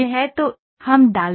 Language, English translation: Hindi, So, that is we have put